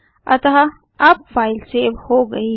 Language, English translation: Hindi, So the file is saved now